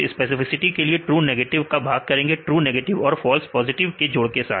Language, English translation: Hindi, Then specificity you can say true negative divided by true negatives plus false positives